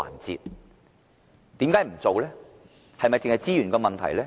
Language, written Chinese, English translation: Cantonese, 是否單是資源的問題呢？, Is it merely out of the resource consideration?